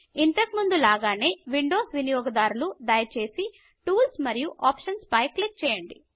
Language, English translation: Telugu, As before, Windows users, please click on Tools and Options